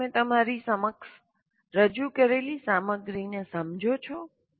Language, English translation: Gujarati, Do you understand the contents that are presented to you